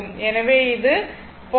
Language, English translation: Tamil, So, it will be 0